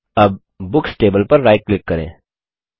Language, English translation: Hindi, Let us now right click on the Books table